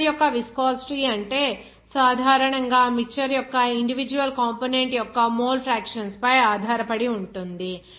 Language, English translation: Telugu, It is generally what is the viscosity of mixture upon is dependent on the mole fractions of that individual component of that mixture